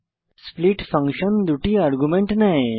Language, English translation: Bengali, split function takes two arguments